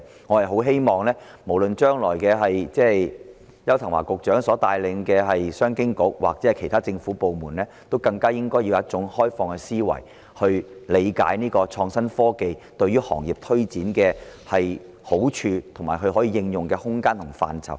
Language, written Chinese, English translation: Cantonese, 我希望將來無論是邱騰華局長所帶領的商務及經濟發展局或其他政府部門，應以開放的思維，理解創新科技對行業推展的好處，以及可以應用的空間及範疇。, I hope that in future either the Commerce and Economic Development Bureau led by Secretary Edward YAU or other government departments would adopt an open mind in understanding the advantages of innovation and technology on the promotion of the trade as well as the possible room and scope for their application